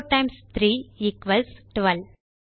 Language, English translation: Tamil, 4 times 3 equals 12